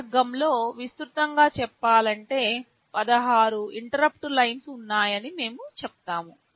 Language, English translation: Telugu, Under this category broadly speaking we say that there are 16 interrupt lines